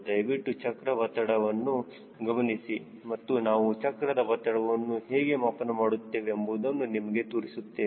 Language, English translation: Kannada, please see the tire pressure and we will just show you how we measure the tire pressure